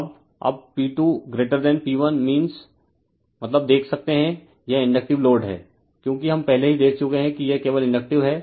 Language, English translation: Hindi, Now, now you can see the P 2 greater than P 1 means, it is Inductive load because already we have seen it is Inductive only